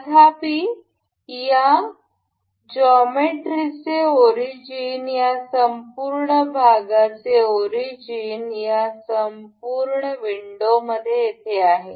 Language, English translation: Marathi, However the origin of this geometry, origin of this whole play this whole window is here